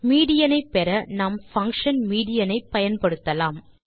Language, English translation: Tamil, To get the median we will simply use the function median